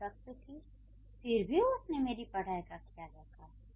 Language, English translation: Hindi, So, she was strict yet she took care of my studies